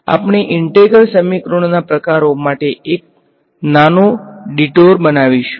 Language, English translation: Gujarati, So, we will just make a small detour to types of integral equations right